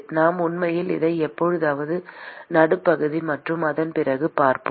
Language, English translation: Tamil, We will actually look at it sometime around the mid sem and after that